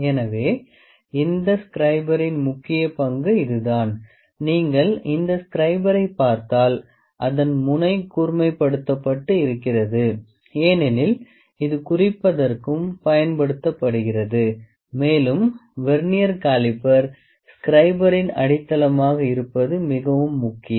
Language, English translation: Tamil, So, there is a major role of this scriber here, if you look at this scriber at the tip of this scriber is sharpened here is sharpened because this is also used for marking and it is very important that the Vernier caliper the base of the scriber